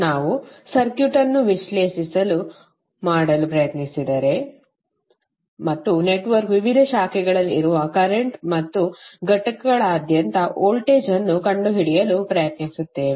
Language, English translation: Kannada, We will try to analysis the circuit and try to find out the currents which are there in the various branches of the network and the voltage across the components